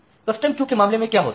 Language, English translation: Hindi, So, what happens in case of custom queuing